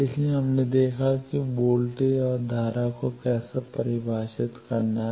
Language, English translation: Hindi, So, we have seen how to define voltage and current now scattering parameters